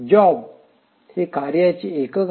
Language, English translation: Marathi, A job is a unit of work